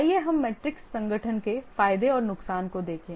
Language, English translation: Hindi, Let's look at the advantages and disadvantages of the matrix organization